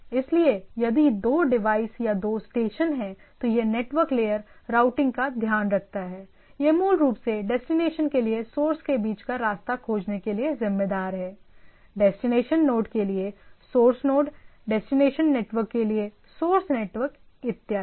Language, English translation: Hindi, So, if there are if there are two devices or two stations then this network layer takes care of the routing, it basically responsible to finding out the path between the source to the destination, source node to the destination node, source network to the destination network and so and so forth